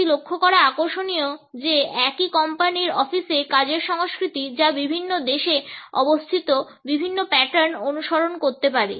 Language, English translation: Bengali, It is interesting to note that the work cultures in the offices of the same company, which are located in different countries, may follow different patterns